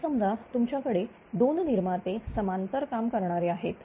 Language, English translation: Marathi, Now, suppose you have two generating units operating in parallel